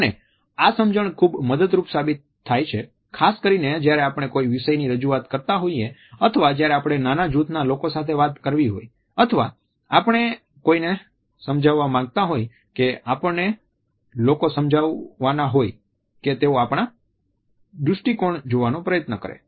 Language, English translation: Gujarati, And this understanding is very helpful particularly when we have to make presentations or when we have to talk to people in a small group or we want to persuade somebody to look at things from our perspective